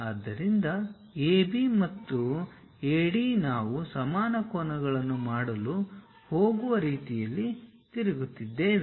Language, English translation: Kannada, So, AB and AD we are rotating in such a way that they are going to make equal angles